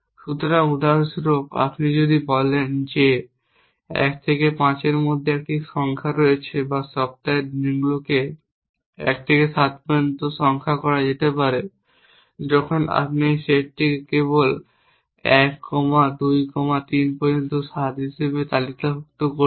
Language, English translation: Bengali, So, for example, if you say that there is a number between 1 and 5 or the days of the week can be numbered from let say 1 to 7 when you will simply list this set as 1 comma 2 comma 3 up to 7